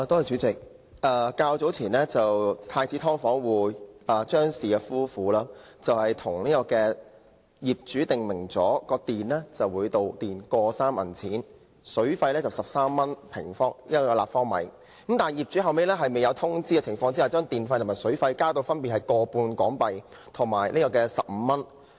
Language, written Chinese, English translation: Cantonese, 主席，住在太子道的"劏房"租戶張氏夫婦與業主訂明，每度電費 1.3 元，水費每立方米13元，但是，後來業主在未有通知的情況下，將電費和水費增至 1.5 元和15元。, President according to the agreement between Mr and Mrs CHEUNG who live in an SDU in Prince Edward Road and their landlord they should pay 1.3 for each unit of electricity and 13 for each cubic metre of water consumed . However the landlord later raised the electricity and water charges to 1.5 and 15 respectively without notifying Mr and Mrs CHEUNG